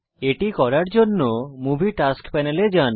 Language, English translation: Bengali, To do that, go to the Movie Tasks Panel